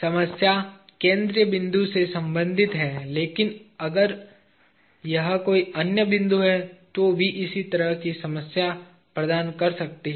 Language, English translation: Hindi, The problem has to do with the central point, but if it is some other point also a similar understanding can provide